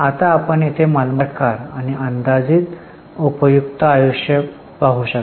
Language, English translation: Marathi, Now you can see here type of the asset and estimated useful life